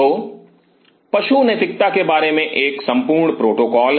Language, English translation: Hindi, So, there is a whole protocol about animal ethics